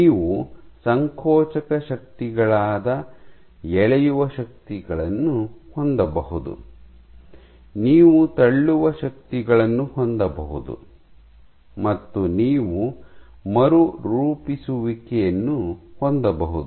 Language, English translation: Kannada, So, you can have pulling forces that is contractile forces, you can have pushing forces pushing forces and you can have remodeling